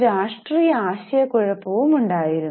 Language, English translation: Malayalam, There was a political confusion as well